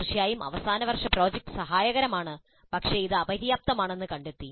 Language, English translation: Malayalam, Certainly final project is helpful, but it is found to be inadequate